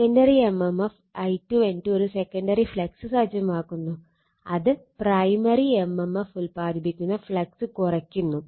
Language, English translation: Malayalam, The secondary mmf I 2 N 2 sets of a secondary flux that tends to reduce the flux produce by the primary mmf